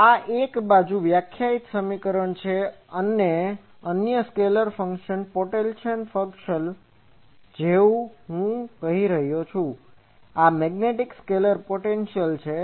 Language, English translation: Gujarati, So, this is another defining equation that another scalar function potential function I am saying, this is magnetic scalar potential